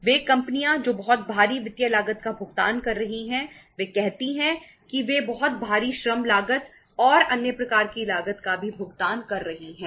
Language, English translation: Hindi, Those companies who are paying very heavy financial cost they are say uh paying a very heavy labour cost and other kind of the cost also